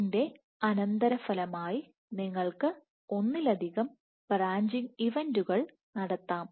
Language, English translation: Malayalam, So, as the consequence of this you can have multiple branching events